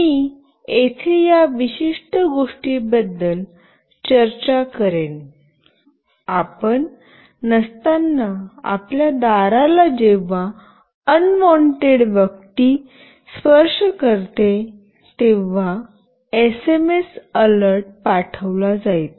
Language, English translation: Marathi, I will be discussing about this particular thing here, whenever an unwanted person touches your door when you are not there, an SMS alert will be sent